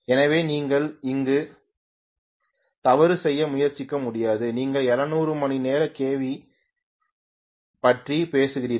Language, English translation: Tamil, So you cannot effort to make a mistake there, you are talking about 700 hour kV